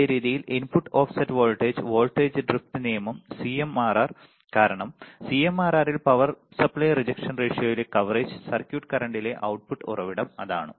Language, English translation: Malayalam, Same way input offset voltage, voltage drift right CMRR because in CMRR ps in power supply rejection ratio output source of coverage circuit current